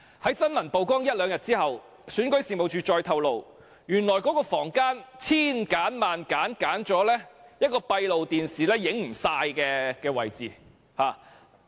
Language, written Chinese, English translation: Cantonese, 在新聞曝光後一兩天，選舉事務處再透露，原來那間房間幾經挑選，才選擇了一個閉路電視不能完全拍攝的位置。, A couple of days after the news was reported the Registration and Electoral Office disclosed that the room which cannot be fully filmed by closed - circuit television was carefully selected